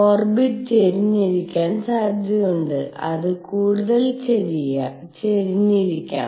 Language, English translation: Malayalam, There is a possibility that the orbit could be tilted it could be even more tilted